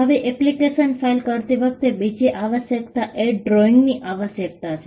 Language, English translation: Gujarati, Now, the second requirement while filing an application is the requirement of drawings